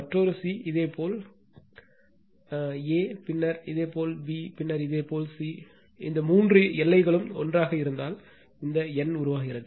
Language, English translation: Tamil, And another c if you see a, then your b your b, and then your c, all this three bounds together, and this numerical is formed right